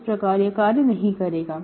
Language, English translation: Hindi, So that will not work